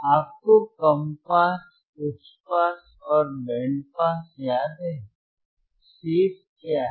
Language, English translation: Hindi, You remember low pass, high pass and , band pass, all 3 checked